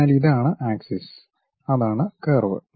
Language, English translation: Malayalam, So, this is the axis, that is the curve